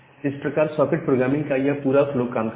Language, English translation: Hindi, So, for that we use this concept of socket programming